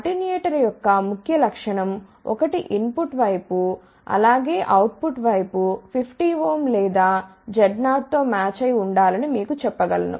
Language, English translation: Telugu, One of the main property of the attenuator is that the input side, as well as the output side should be matched with 50 ohm or you can say Z 0